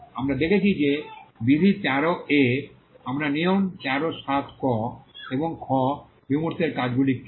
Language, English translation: Bengali, We saw that in rule 13, we had seen rule 13 and what are the functions of the abstract